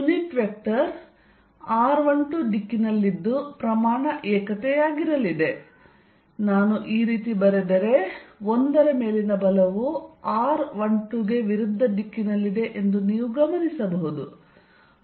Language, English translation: Kannada, The unit vector is going to be in r 1 2 direction of magnitude unity, if I write like this then you notice that force on 1 is in the direction opposite of r 1 2